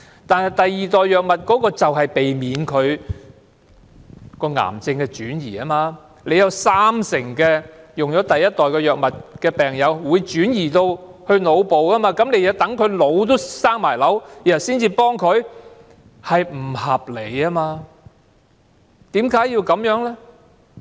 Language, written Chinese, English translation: Cantonese, 但是，第二代藥物就是要避免癌症的轉移，有三成服用第一代藥物的病人的癌症會轉移到腦部，但當局要待病人腦部也生瘤才予以協助，這是不合理的。, However second generation drugs should in fact be used to prevent the emergence of tumor metastasis because 30 % of patients who have been prescribed with the first generation drugs will have tumor metastasis involving the brain . Yet the Government will provide them with the necessary assistance only when cancer cells have invaded their brains and this is grossly unreasonable